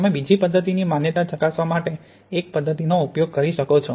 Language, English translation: Gujarati, You can use one method to check the validity of another method